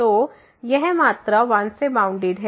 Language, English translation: Hindi, So, this is this quantity is bounded by 1